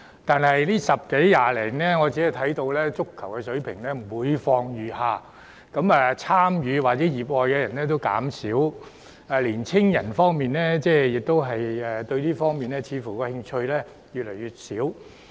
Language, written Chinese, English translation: Cantonese, 但近10多年來，我們的足球水平每況愈下，參與或熱愛足球運動的人數減少，青年人對這方面的興趣似乎越來越小。, At that time football in Hong Kong was at the leading level in Asia but the level of football has gone from bad to worse in the past 10 years or so . The numbers of football players and football enthusiasts have been on the decrease and it seems that young people are less interested in this sport